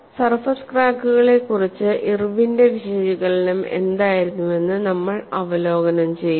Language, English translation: Malayalam, And we will just review what was the Irwin's analysis of surface cracks